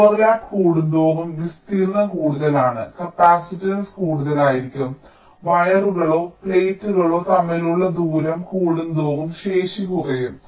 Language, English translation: Malayalam, so greater the overlap, greater is the area, higher will be the capacitance, greater the distance between the wires or the plates, lower will be the capacities